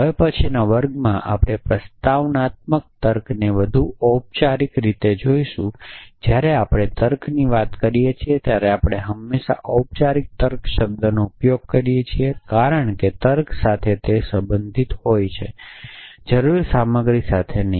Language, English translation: Gujarati, In the next class, we will look at propositional logic more formally in fact, when we talk of logic we always use the term formal logic, because logic is concerned with form and not with content essentially